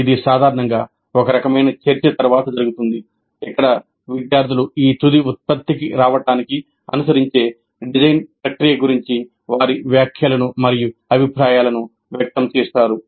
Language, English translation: Telugu, And this will be usually followed by some kind of a discussion where the students express their comments and opinions about the design process followed to arrive at this final product